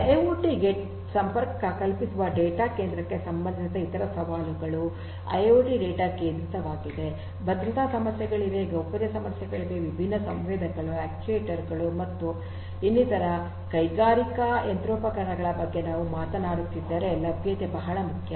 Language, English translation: Kannada, Other challenges are with respect to the data centre connecting to the IIoT, IIoT is data centric, security issues are there, privacy issues are there, availability is very important if we are talking about industrial machinery fitted with different different sensors, actuators, and so on